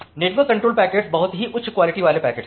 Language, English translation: Hindi, The network control packets are very high priority packets